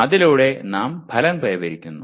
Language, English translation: Malayalam, Through that we are attaining the outcomes